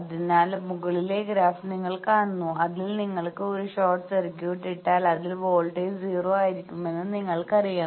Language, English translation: Malayalam, So, you see the upper graph that from that you know that if you put a short circuit, there the voltage will be 0